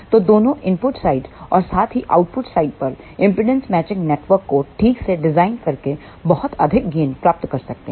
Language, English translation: Hindi, So, one can get much larger gain by properly designing impedance matching network at both input side as well as the output side